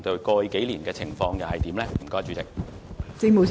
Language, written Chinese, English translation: Cantonese, 過去幾年的情況又是如何？, How was the situation in the past few years?